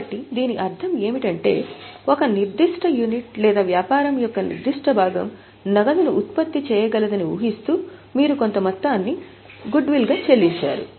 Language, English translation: Telugu, So, what it means is you have paid for a certain amount as a goodwill, assuming that that particular unit or that particular part of the business would be able to generate cash